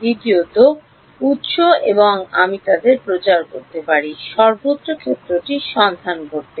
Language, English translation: Bengali, Secondly, sources and I can propagate them find out the field everywhere